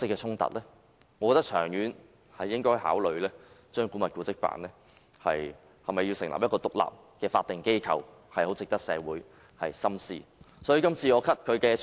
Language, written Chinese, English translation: Cantonese, 長遠而言，我認為應考慮將古蹟辦改為獨立的法定機構，這是值得社會深思的課題。, In the long term I think we should consider turning AMO into an independent statutory authority . This is a subject worthy of consideration by society